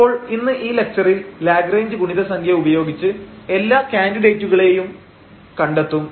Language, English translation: Malayalam, So, here in this lecture today or by this Lagrange multiplier we basically find all the candidates